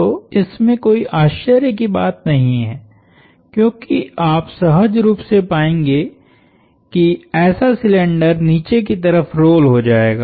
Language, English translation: Hindi, So, there is no surprise there, because intuitively you would find a cylinder such as this would roll down